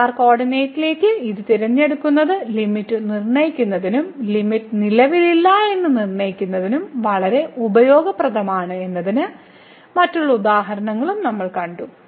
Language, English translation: Malayalam, So, we have seen other examples also that this choosing to polar coordinate is very useful for determining the limit as well as for determining that the limit does not exist